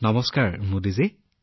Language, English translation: Assamese, Namaste Modi ji